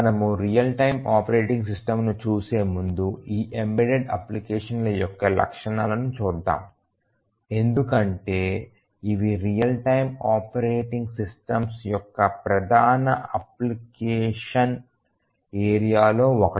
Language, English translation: Telugu, Before we look at the real time operating system let us just spend a minute or to look at the characteristics of these embedded applications because these are one of the major applications areas of real time operating systems